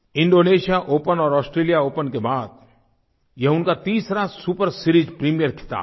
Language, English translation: Hindi, After Indonesia Open and Australia Open, this win has completed the triad of the super series premiere title